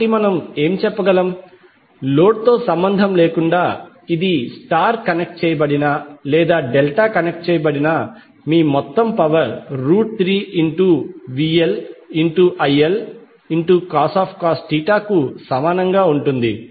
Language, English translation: Telugu, So what we can say, irrespective of the load, whether it is star connected or delta connected, your total power will remain equal to root 3 VLIL cos theta